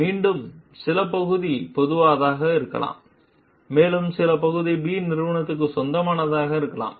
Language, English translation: Tamil, And then again, some part of it may be general and some part of it may be proprietary to company B